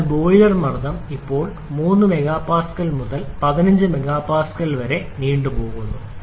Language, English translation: Malayalam, So, boiler pressure now goes from 3 mega Pascal to 15 mega Pascal